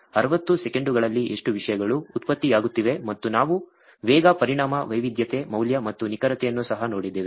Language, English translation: Kannada, How much of contents is getting generated on 60 seconds something like that and we also looked at velocity, volume, variety, value and veracity